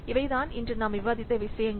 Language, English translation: Tamil, So these are the things that we have discussed on today